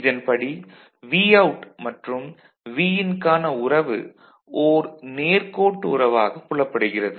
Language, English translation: Tamil, So, we have Vout and Vin relationship between them is linear straight line ok